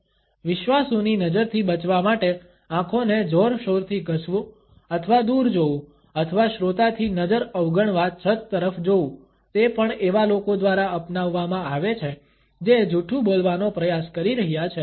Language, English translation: Gujarati, Vigorously rubbing the eyes or looking away or looking at the ceiling to avoid the listeners gaze is also adopted by those people who are trying to put across a lie